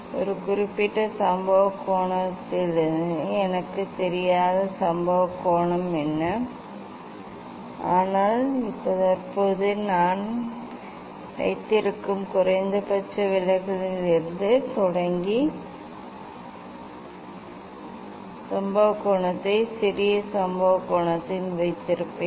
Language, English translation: Tamil, For a particular incident angle incident angle what is the incident angle I do not know but starting from the minimum deviation I have kept at present I have kept the incident angle small incident angle